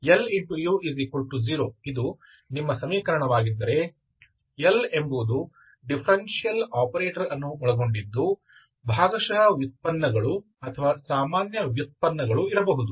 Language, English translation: Kannada, If this is your equation, L is the differential operator involving the derivatives are partial derivatives or ordinary derivatives, okay